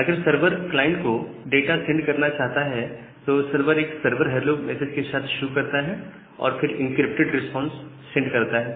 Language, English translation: Hindi, And if the server wants to send data to the client, server start with a server CHLO and then the encrypted responses